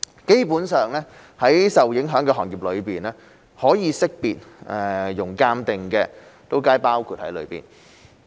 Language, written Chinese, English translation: Cantonese, 基本上，在受影響的行業裏，可識別、容鑒定的皆包括在內。, Basically those in the affected industries are all included as long as they are identifiable